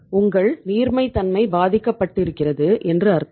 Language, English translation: Tamil, So it means your liquidity has been affected